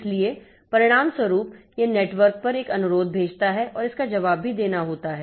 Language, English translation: Hindi, So, as a result, it sends a request over the network and that has to be responded to